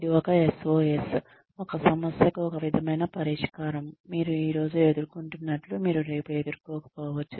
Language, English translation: Telugu, That is a SOS, a sort of solution to a problem, that you may be facing today, that you may not face tomorrow